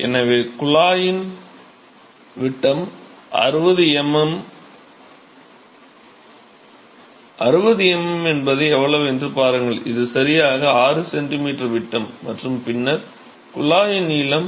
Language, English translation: Tamil, So, look at that the diameter of the tube is 60 millimeters, 60 millimeter is how much, it is this much right 6 centimeter in the diameter and then the length of the tube is 6